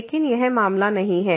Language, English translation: Hindi, But this is not the case